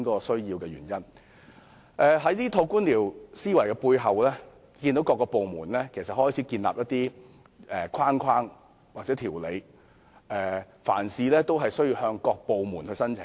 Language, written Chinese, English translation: Cantonese, 受這套官僚思維驅使，政府各部門相繼建立框架或規定，凡事也要向各部門申請。, The bureaucratic mindset has prompted various government departments to formulate frameworks or regulations one after another such that applications are required for everything